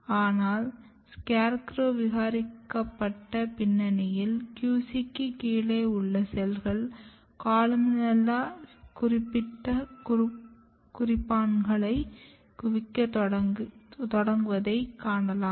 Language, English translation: Tamil, But in scarecrow mutant background, you can see that the cells which is just below the QC can start accumulating columella specific markers